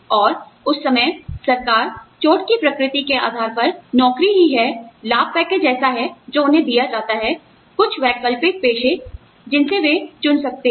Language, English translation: Hindi, And, at that time, the government, depending on the nature of injury, the job itself is, you know, the benefits package is such, that they are given, some alternative profession, that they can choose from